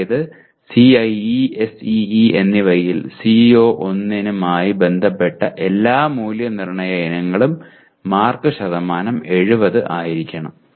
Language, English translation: Malayalam, That means all the assessment items I have related to CO1 in CIE as well as in SEE the marks percentage should be 70